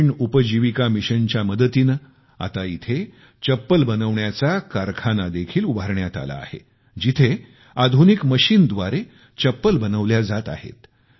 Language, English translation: Marathi, With the help of 'Gramin Ajivika Mission,'a slipper manufacturing plant has also been established here, where slippers are being made with the help of modern machines